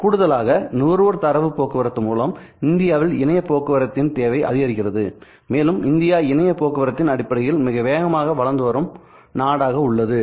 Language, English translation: Tamil, In addition to that consumer data traffic also drives the internet traffic in India and India is one of the fastest growing countries in terms of internet traffic